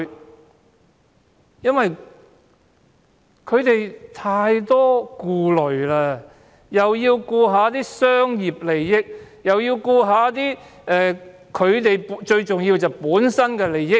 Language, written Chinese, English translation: Cantonese, 這個政府太多顧慮，既要顧及商業利益，又要顧及自身利益。, The Government has to take into account the interests of too many parties including the interests of the business sector and their own interests